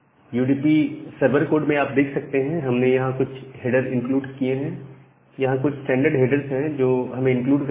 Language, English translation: Hindi, So, in the UDP server code, you can see that we have included some header, these are the kind of standard headers that we have to include